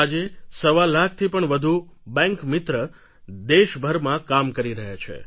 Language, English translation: Gujarati, 25 lakh Bank Mitras are serving in the country